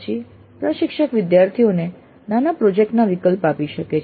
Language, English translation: Gujarati, Then the instructor may offer the choice of a mini project to the students